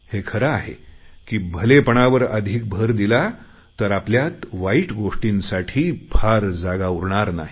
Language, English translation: Marathi, It is true that the more we give prominence to good things, the less space there will be for bad things